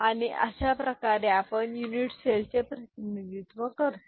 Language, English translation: Marathi, And this is the way we represent the unit cell right